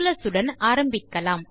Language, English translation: Tamil, Let us begin with Calculus